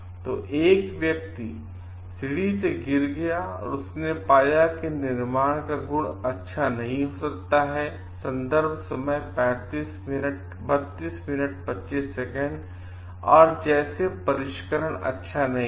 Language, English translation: Hindi, So, a person fell from the ladder and found like may be the manufacture like qualities bad, like finishing is not good